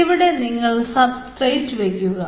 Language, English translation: Malayalam, you take the substrate